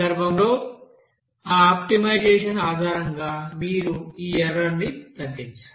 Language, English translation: Telugu, And based on that optimization in this case you have to minimize this error